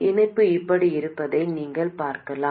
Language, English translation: Tamil, You can see that the connection looks something like this